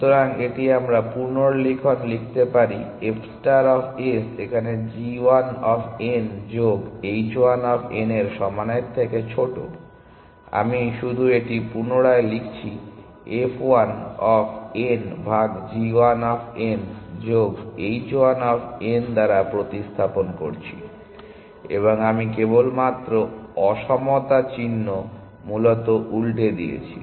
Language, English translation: Bengali, So, this we can write rewrite as following f star of s is less than equal to g 1 of n plus h 1 of n, I am just rewriting this I am replacing f 1 of n by g 1 of n plus h 1 of n, and I just inverted the sign in equality sign essentially